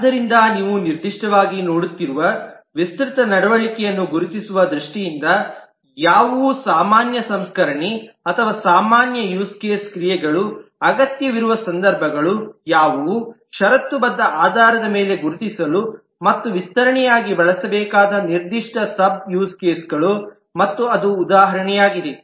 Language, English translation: Kannada, So, in terms of identifying the extend behavior, you are specifically looking at what are the situations where a general processing or a general use case action may require very specific sub use cases to be identified and used as extension on a conditional basis